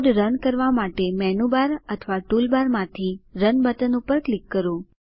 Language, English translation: Gujarati, Click on the Run button from Menu bar or Tool bar to run the code